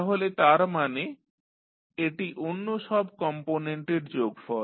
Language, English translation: Bengali, So, that means this will be summation of all other components